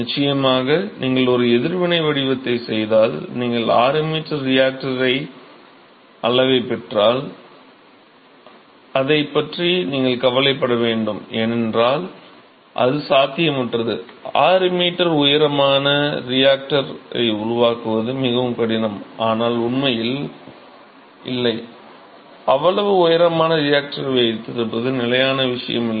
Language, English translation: Tamil, Of course, if you do a reacted design, if you get the reactor size of 6 meter you have to worry about it, because that is an impossible thing to do, it is very difficult to build a 6 meter tall reactor, and there are reactor which are that tall, but really not, it is not a very standard thing to have a reactor which is that tall ok